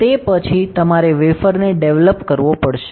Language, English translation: Gujarati, After that you have to develop the wafer